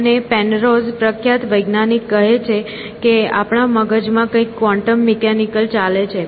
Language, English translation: Gujarati, And, Penrose, the celebrated scientist says that there is something quantum mechanical going on in our brains essentially